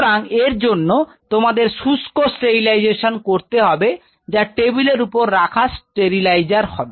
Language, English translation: Bengali, So, for that you need dry sterilization which is a table top sterilizer